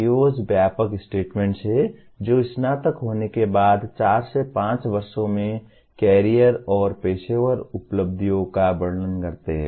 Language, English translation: Hindi, PEOs are broad statements that describe the career and professional accomplishments in four to five years after graduation